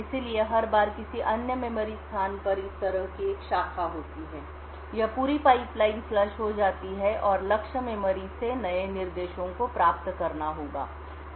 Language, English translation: Hindi, So, every time there is a branch like this to another memory location, this entire pipeline would get flushed and new instructions would need to be fetched from the target memory